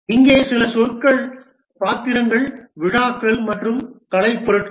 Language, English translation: Tamil, Here some of the terminologies, the roles, ceremonies and artifacts